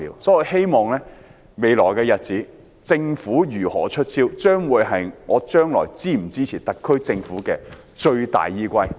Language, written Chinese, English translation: Cantonese, 在未來的日子，政府如何"出招"，將會是我是否支持特區政府的最大依歸。, In the future how the Government rolls out its measures will be my greatest consideration in deciding whether I should support the SAR Government